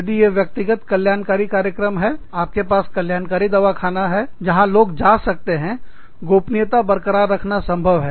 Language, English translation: Hindi, If, it is a one on one wellness program, you have a wellness clinic, where people can go, them maintaining confidentialities, possible